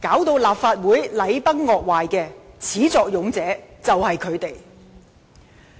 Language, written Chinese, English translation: Cantonese, 令立法會禮崩樂壞的始作俑者就是他們。, They are the ones who have brought the Legislative Council in total disarray